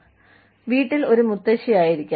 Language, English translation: Malayalam, And, maybe a grandmother, at home